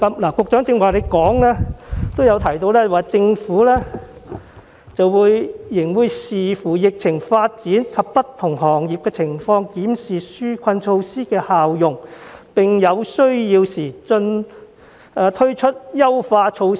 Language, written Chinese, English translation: Cantonese, 局長剛才在主體答覆中指出，"政府仍會視乎疫情發展及不同行業的情況檢視紓困措施的效用，並在有需要時推出優化措施"。, The Secretary pointed out earlier in the main reply that the Government will having regard to the development of the epidemic and the situation of different sectors review the effectiveness of the relief measures and introduce enhancements if needed